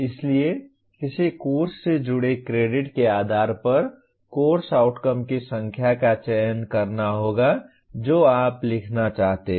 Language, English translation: Hindi, So depending on the credits associated with a course one has to choose the number of course outcomes that you want to write